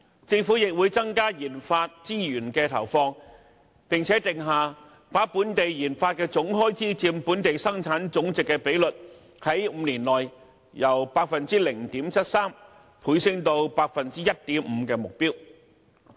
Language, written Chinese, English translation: Cantonese, 政府亦會增加研發資源的投放，並定下把本地研發總開支佔本地生產總值的比率，在5年內由 0.73% 升至 1.5% 的目標。, The Government will also increase resources for RD and it has set a goal to double the Gross Domestic Expenditure on RD as a percentage of the Gross Domestic Product GDP from 0.73 % to 1.5 % within five years